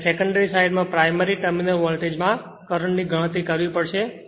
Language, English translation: Gujarati, You have to calculate current in the primary terminal voltage at the secondary side